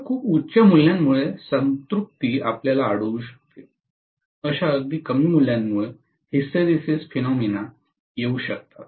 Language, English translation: Marathi, Very high values you may encounter saturation, very low values you may encounter hysteresis phenomena